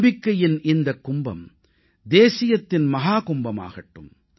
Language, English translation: Tamil, May this Kumbh of faith also become Mahakumbh of ofnationalism